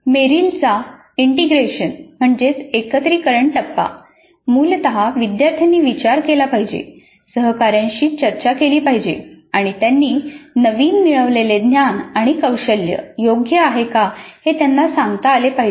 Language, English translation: Marathi, Then the integration, the integration phase of Merrill essentially learners should reflect, discuss with peers, defend their newly acquired knowledge and skills, relate them to their existing mental model